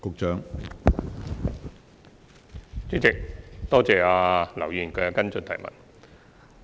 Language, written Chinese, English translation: Cantonese, 主席，多謝劉議員提出補充質詢。, President my thanks go to Mr LAU for his supplementary question